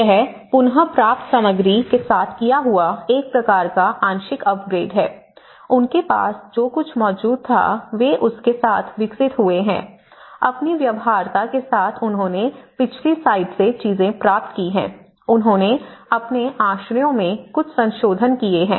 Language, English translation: Hindi, And also, this is a kind of partial upgrade with reclaimed materials they have the developed with the kind of whatever, they have able to procure from the past site or with their feasibilities, they have made some modifications to their shelters